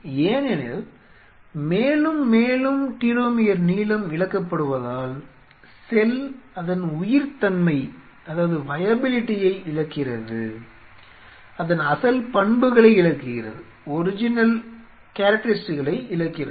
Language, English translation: Tamil, Because as more and more telomere lengths are lost eventually the cell loses it is viability loses it is original characteristics